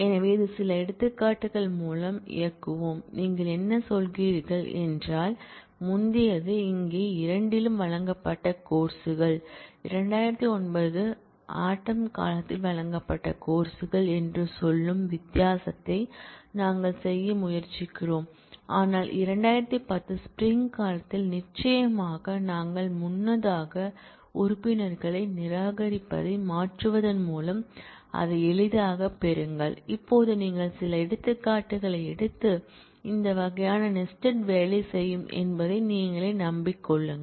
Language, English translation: Tamil, So, let us run through some examples this is, what you are saying is, earlier one was the courses offered in both here we are trying to do kind of the difference saying the courses offered in fall 2009, but not in spring 2010 certainly we easily get that by changing the membership to negation of the membership earlier it was in now you do not in you will simply get that it is up to you to take some examples and convince yourself that this kind of a nesting will work